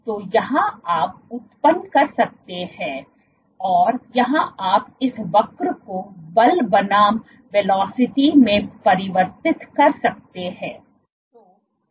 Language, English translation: Hindi, So, from here you can generate you can convert this curve into force versus velocity